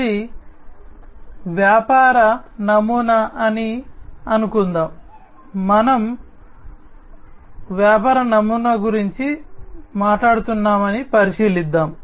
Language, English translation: Telugu, Let us assume, that this is the business model, let us consider that we are talking about the business model